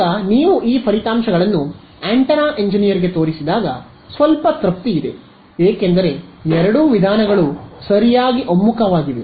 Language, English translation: Kannada, Now, when you show these results to an antenna engineer, there is some satisfaction because both methods have converged right